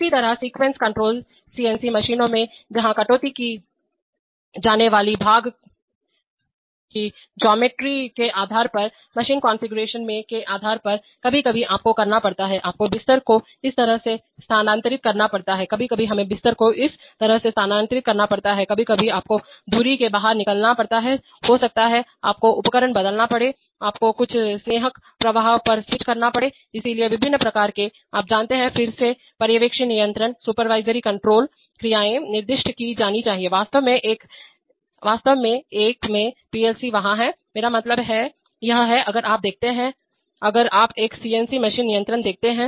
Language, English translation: Hindi, So similarly sequence control in CNC machines, where depending on the geometry of the part to be cut, depending on the machine configuration, sometimes you have to, you have to move the bed this way, sometimes we have to move the bed that way, sometimes you have to extract the spindle up, you may, you may have to change the tool, you may have to switch on some lubricant flow, so various kinds of, you know, again supervisory control actions must be specified, in fact in a PLC there are, I mean, it is, if you see, if you see a CNC machine controls